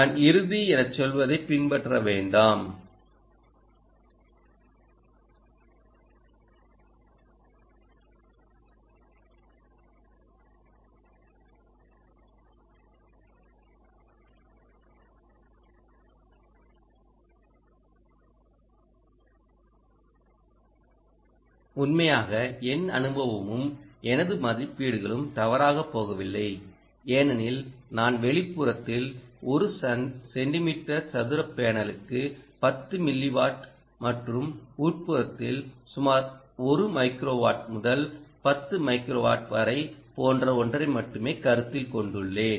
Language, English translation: Tamil, my experience and my estimations have not gone wrong, because i have considered only something like ten milliwatt for a one centimeter square panel ah for outdoor and one microwatt to about ten microwatts